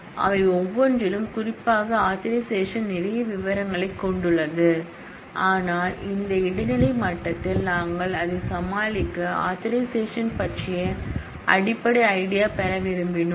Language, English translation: Tamil, Each one of them particularly authorization has lot more details, but at this intermediate level we just wanted to get a basic idea about authorization to be able to deal with that